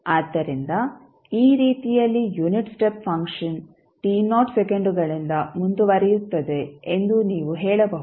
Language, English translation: Kannada, So, in this way you can say that the unit step function is advanced by t naught seconds